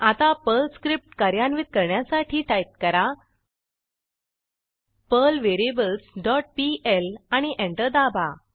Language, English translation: Marathi, Now lets execute the Perl script by typing perl variables dot pl and press Enter